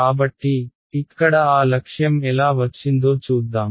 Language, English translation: Telugu, So, we will see how that objective is achieved over here